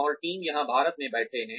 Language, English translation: Hindi, And, the team is, people are sitting here in India